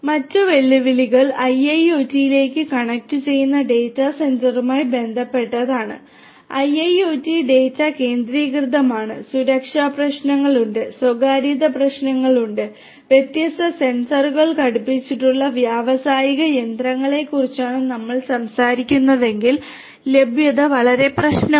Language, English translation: Malayalam, Other challenges are with respect to the data centre connecting to the IIoT, IIoT is data centric, security issues are there, privacy issues are there, availability is very important if we are talking about industrial machinery fitted with different different sensors, actuators, and so on